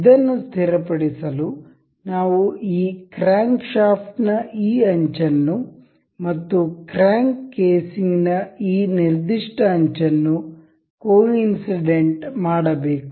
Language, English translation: Kannada, For the fixing this, we need to coincide the this edge of this crankshaft and the this particular edge of the crank casing to coincide with each other